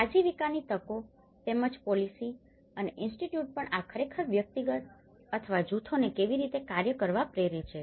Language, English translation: Gujarati, As well as the livelihood opportunities and also the policies and the institutions, how these actually make the individual or the groups to act upon